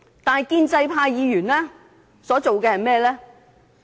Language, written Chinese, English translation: Cantonese, 但是，建制派議員所做的是甚麼？, However what are Members of the pro - establishment camp trying to do?